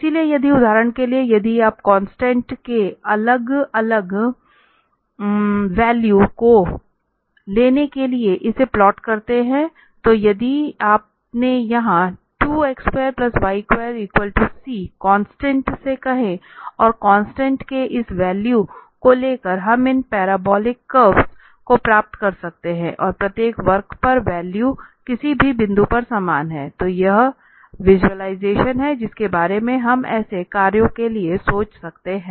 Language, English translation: Hindi, So, for instance if you plot this for taking different value of the constant, so, if you said to this constant here and wearing this value of the constant we can get these parabolic curves and on each curve the value is at any point is same so, that is what the visualization we can think of for such functions